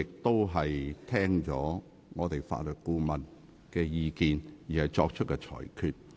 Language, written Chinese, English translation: Cantonese, 我是聽取了法律顧問的意見後，才作出裁決。, I made the ruling after considering the legal advice